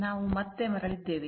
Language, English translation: Kannada, So, we are back again